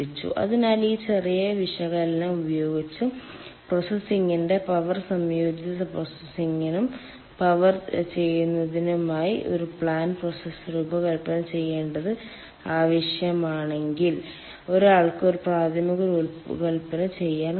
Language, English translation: Malayalam, so if it is needed to design a plant ah process for processing and power, combined processing and power, with this small analysis one can do a preliminary design